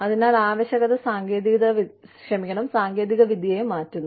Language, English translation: Malayalam, So, necessity changes the technology